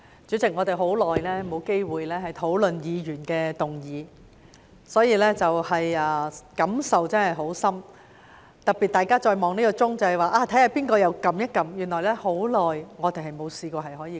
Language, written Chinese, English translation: Cantonese, 主席，我們很久已沒有機會討論議員議案，我可謂感受殊深，特別是大家看着有誰按下這個"要求發言"按鈕，原來我們已經很久沒試過這樣。, President it has been a long time since we have had the opportunity to discuss a Members motion . I have so strong a feeling on this especially when we look at who has pressed this Request to speak button . It turns out that we have not done so for such a long time